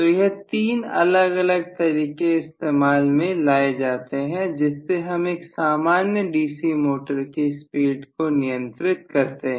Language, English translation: Hindi, So three of these different methods will be employed normally for speed control of DC motors